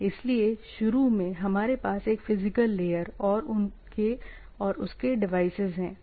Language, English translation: Hindi, So, initially we are having a physical layer or layer one type of devices